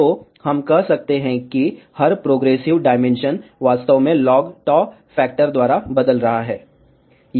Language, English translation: Hindi, So, we can say that every progressive dimension is actually changing by a factor of log tau